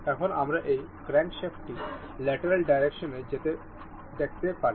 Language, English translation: Bengali, Now, still we can see this crankshaft to move in the lateral direction